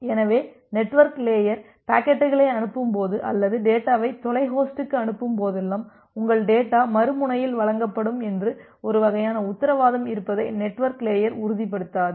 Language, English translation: Tamil, So, whenever the network layer forwards packets or forwards data to an remote host, the network layer does not ensure that there is a kind of guaranty or assurance that your data will be delivered at the other end